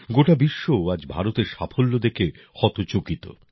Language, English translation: Bengali, The whole world, today, is surprised to see the achievements of India